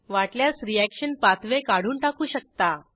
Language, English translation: Marathi, We can also remove the reaction pathway, if we want to